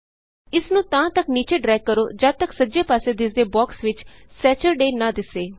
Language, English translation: Punjabi, Drag it downwards till you see Saturday in the display box on the right